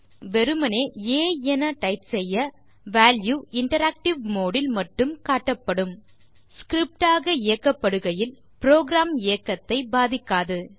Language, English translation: Tamil, Moreover when we type just a , the value a is shown only in interactive mode and does not have any effect on the program while running it as a script